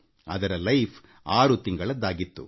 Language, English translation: Kannada, It had a life expectancy of 6 months